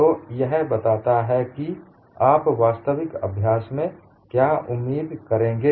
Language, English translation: Hindi, So, this explains what you would expect in actual practice